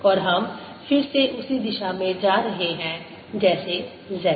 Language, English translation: Hindi, similarly, b is in the z direction